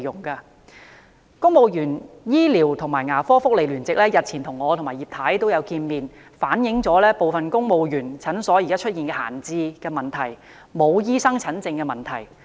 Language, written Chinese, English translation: Cantonese, 公務員醫療及牙科福利聯席日前與我和葉劉淑儀議員會面時反映部分公務員診所現時出現閒置及沒有醫生診症的問題。, During a meeting with Mrs Regina IP and me a couple of days ago the Coalition of Civil Servants on Medical and Dental Benefits for Civil Service Eligible Persons told us that in some families clinics consultation rooms were left idle due to a shortage of doctors